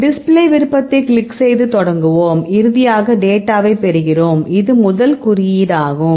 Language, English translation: Tamil, Right then, currently we click the display option, then we will start this then finally, we get the data now it is symbol the first one